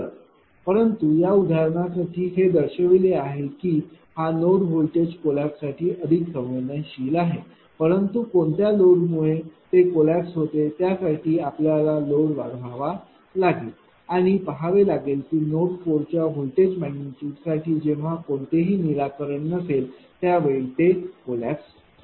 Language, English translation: Marathi, So, but for these example it is showing that this node is more sensitive of voltage collapse, but which load it will be collapsing that you have to increase the load and you have to see when there will be no solution of the voltage magnitude for node 4 at that time it will be collapsing